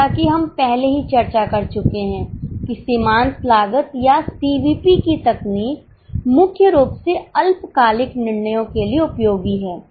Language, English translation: Hindi, As we have already discussed, the technique of marginal costing or CVP is primarily useful for short term decisions